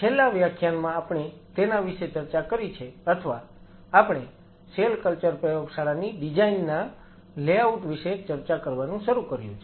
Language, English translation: Gujarati, So, we are into the second week and we have finished 2 lectures in the last lecture we talked about the or rather started talking about the layout in the design of the cell culture lab